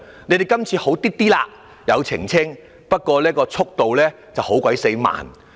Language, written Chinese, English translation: Cantonese, 你們今次略有改善，有作出澄清，不過速度卻非常慢。, This time the Bureau had improved slightly as it had finally made clarifications though its response was extremely slow